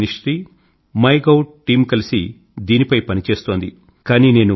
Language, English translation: Telugu, The HRD ministry and the MyGov team are jointly working on it